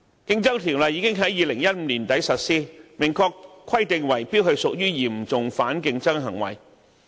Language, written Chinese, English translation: Cantonese, 《競爭條例》已於2015年年底實施，明確規定圍標屬於"嚴重反競爭行為"。, The Competition Ordinance came into force in the end of 2015 expressly stipulating that bid - rigging is serious anti - competitive conduct